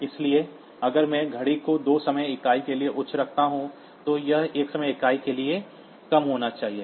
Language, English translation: Hindi, So, if I put the clock be high for two times and two time units if the clock is high then it should be low for one time unit